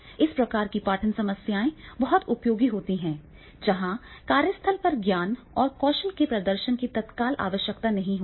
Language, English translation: Hindi, So, this type of training programs are also very useful when there is not an immediate requirement of demonstration of a knowledge or skill at the workplace